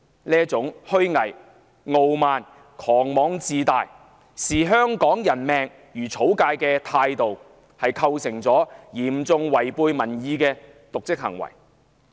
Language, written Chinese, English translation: Cantonese, 這種虛偽、傲慢、狂妄自大、視香港人命如草芥的態度構成嚴重違背民意的瀆職行為。, It constituted dereliction of duty on her part by riding roughshod over public opinion with hypocrisy arrogance hubris and careless disregard for human life